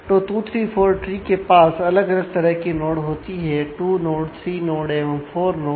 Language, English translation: Hindi, So, 2 3 4 tree have different types of node : 2 node 3 node and 4 node